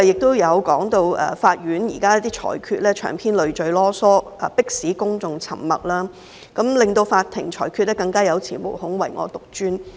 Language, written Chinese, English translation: Cantonese, 他也說到，法院現時的一些裁決長篇累贅，迫使公眾沉默，令法庭裁決更有恃無恐，唯我獨尊。, He added that at present some judgments of the courts are so verbose and lengthy that the public had been smothered by an avalanche of words thus making the courts even more haughty and overbearing in giving rulings